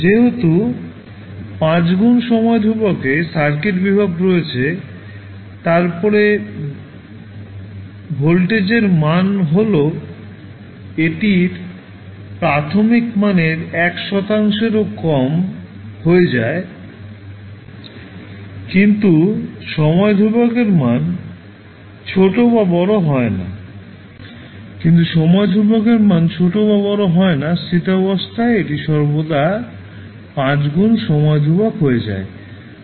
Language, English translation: Bengali, Because in 5 time constants the circuit voltage is there, then voltage value will decrease to less than 1 percent of its initial value so, the value of time constant is small or large will not impact, the steady state time, it will always be 5 times of the time constant